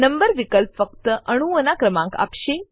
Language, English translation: Gujarati, Number option will give only numbering of atoms